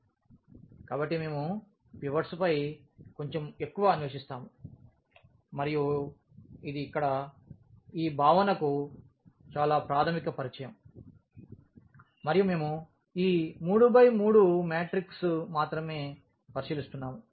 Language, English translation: Telugu, So, we will be exploring a little more on the pivots and this is just a very very basic introduction to this concept here and we are considering only this 3 by 3 matrix